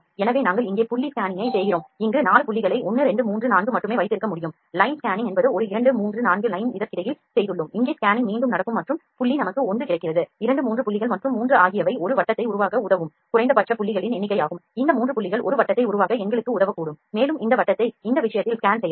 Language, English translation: Tamil, So, also we perform the point scanning here and we can just have the 4 points here 1 2 3 4, line scanning is we have just made one 2 3 4 lines in between this here the scanning would happen again and point is we get 1 2 3 points and 3 are the minimum number of points that can help to develop a circle, these 3 points can help us to make a circle and this circle can be scanned like in this case ok